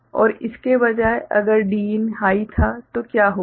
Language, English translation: Hindi, And instead, if Din was high ok, then what will happen